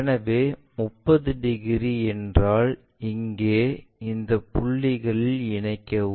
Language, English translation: Tamil, So, 30 degrees means here now join these points